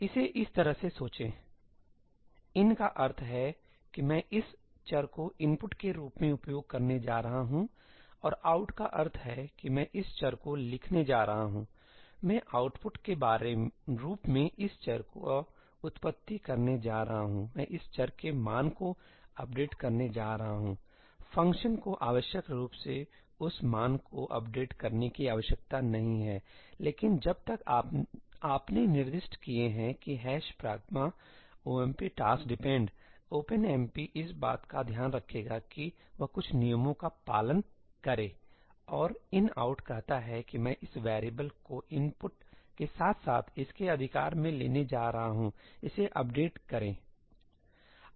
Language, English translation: Hindi, Think of it this way: ëiní means that I am going to use this variable as input and ëoutí means that I am going to write to this variable; I am going to produce this variable as output; I am going to update the value of this variable; the function need not necessarily update that value, but as long as you have specified that in the ëhash pragma omp task dependí, OpenMP will take care that it follows certain rules; and ëinoutí says that I am going to take this variable as input as well as right to it, update it